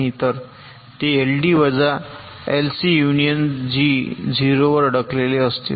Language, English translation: Marathi, so it will be l d minus l c, union g stuck at zero